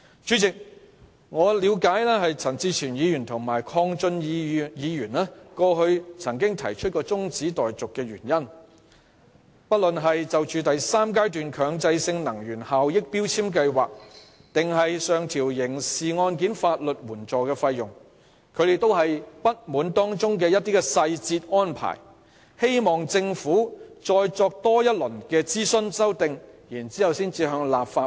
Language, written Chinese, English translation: Cantonese, 陳志全議員及鄺俊宇議員先前分別提出中止待續議案，針對強制性能源效益標籤計劃第三階段及上調刑事案件法律援助費用的部分細節安排，希望政府再作諮詢及修訂才將有關附屬法例提交立法會。, Mr CHAN Chi - chuen and Mr KWONG Chun - yu earlier moved adjournment motions in relation to the third phase of the Mandatory Energy Efficiency Labelling Scheme and the detailed arrangements for the increase of criminal legal aid fees hoping that the Government would do more consultation and make further amendments before submitting the subsidiary legislation to the Council again . However as I pointed out in my previous speech we should learn from past lessons